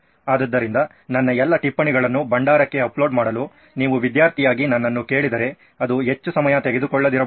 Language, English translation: Kannada, So if you ask me as a student to upload all my notes into a repository, then that might not take a lot of time